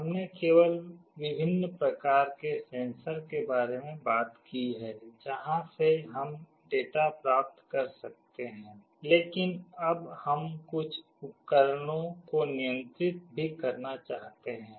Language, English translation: Hindi, We only talked about different kind of sensors from where we can read the data, but now we want to also control some devices